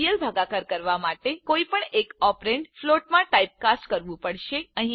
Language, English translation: Gujarati, To perform real division one of the operands will have to be typecast to float